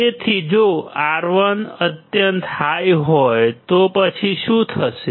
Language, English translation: Gujarati, So, if R1 is extremely high; then what will happen